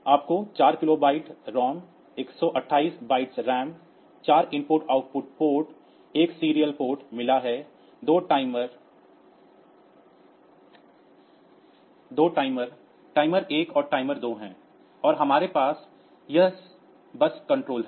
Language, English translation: Hindi, So, you have got 4 kilobytes of ROM 128 bytes of RAM for IO ports 1 serial port there are 2 timers timer 1 and timer 2 and we have got this bus control